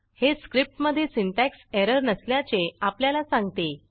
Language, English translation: Marathi, This tells us that there is no syntax error